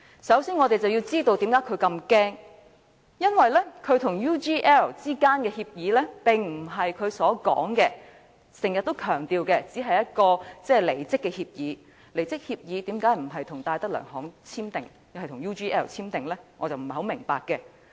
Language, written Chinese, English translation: Cantonese, 首先，我們要知道他為何如此害怕，因為他與 UGL 之間的協議並非如他經常強調的只是一份離職協議，離職協議為何不是跟戴德梁行簽訂而是跟 UGL 簽訂？, First we have to find out why he was so afraid . He was afraid because the agreement he made with UGL was not merely a resignation agreement as he always stressed to be . If it was a resignation agreement why did he not sign with DTZ but with UGL?